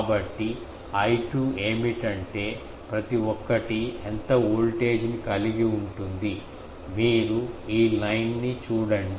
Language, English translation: Telugu, So, what will be I 2 will be how much voltage each one is seeing, you see this line